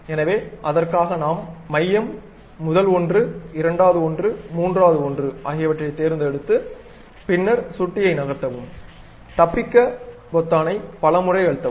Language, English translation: Tamil, So, for that we have to specify somewhere like center, first one, second one, third one, then move, press escape several times